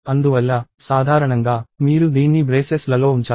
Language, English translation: Telugu, Therefore, usually, you have to put this within braces